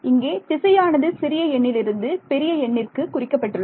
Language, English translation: Tamil, The direction is from a smaller number to a larger number